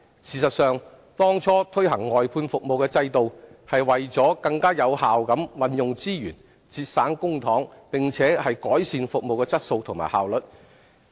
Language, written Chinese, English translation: Cantonese, 事實上，當初推行外判服務制度是為了更有效地運用資源，節省公帑並改善服務質素和效率。, In fact the purposes of introducing the service outsourcing system back then were to use resources more effectively save public money and improve service quality and efficiency